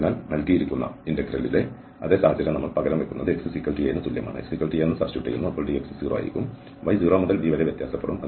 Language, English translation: Malayalam, So again the same situation in the given integral we will substitute x is equal to a, the dx will be 0 and the y will vary from 0 to b